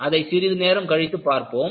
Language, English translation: Tamil, We will look at it, a little while later